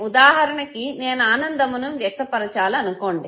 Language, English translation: Telugu, So say for example if I have to express happiness